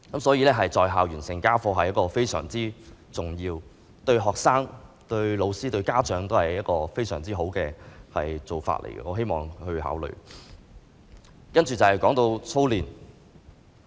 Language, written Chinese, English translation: Cantonese, 所以，"在校完成家課"是非常重要的，對學生、對教師、對家長而言都是非常好的做法，我希望當局能夠考慮。, For this reason finishing homework at school is very important and a good practice to students teachers and parents . I hope that the authorities will ponder it